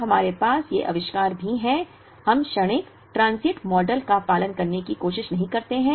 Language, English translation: Hindi, Now, we also have these inventories, we do not try to follow the transient model